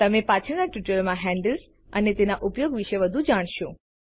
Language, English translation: Gujarati, You will learn more about handles and their use in the later tutorials